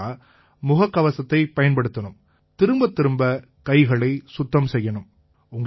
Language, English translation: Tamil, Secondly, one has to use a mask and wash hands very frequently